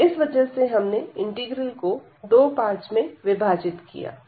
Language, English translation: Hindi, So, we have to apply the idea of this integral by parts